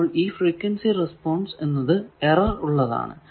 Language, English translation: Malayalam, So, these frequency response and these is an erroneous frequency response